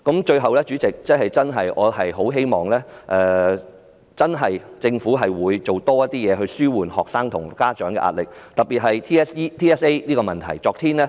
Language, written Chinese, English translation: Cantonese, 最後，主席，我真的很希望政府真的能多做工夫紓緩學生及家長的壓力，特別是 TSA 的問題。, Finally President I truly hope that the Government can really work harder in alleviating pressure on students and parents particularly the pressure of TSA